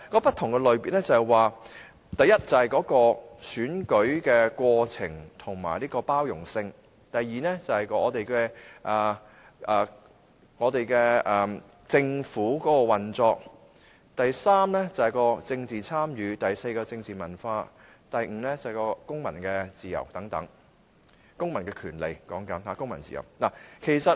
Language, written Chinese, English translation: Cantonese, 不同類別包括：第一，選舉的過程和包容性；第二是政府的運作；第三是政治參與；第四是政治文化；第五是公民自由和權利等。, The different categories include firstly electoral process and pluralism secondly functioning of government thirdly political participation fourthly political culture and fifthly civil liberties and rights